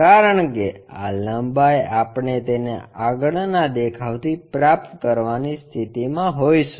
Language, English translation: Gujarati, Because this length we will be in a position to get it from the front view